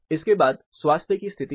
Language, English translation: Hindi, Next is the state of health